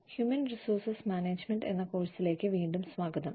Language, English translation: Malayalam, Welcome back, to the course on, Human Resources Management